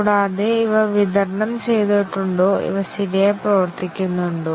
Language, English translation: Malayalam, And, whether these have been supplied and whether these function properly